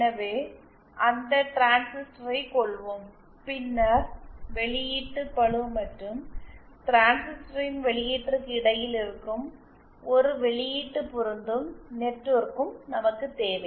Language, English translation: Tamil, So let’s call that transistor and then we also need an output matching network which will be between the output load and the output of the transistor